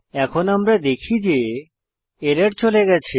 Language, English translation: Bengali, Now we can see that the error has gone